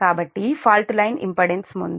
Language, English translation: Telugu, so before fault, line line impedance was, reactance was point three